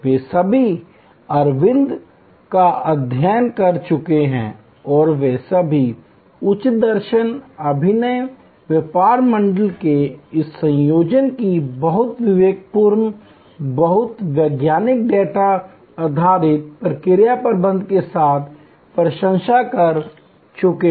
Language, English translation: Hindi, They have all studied Aravind and they have all admired this combination of high philosophy, innovative business model with very prudent, very scientific data based process management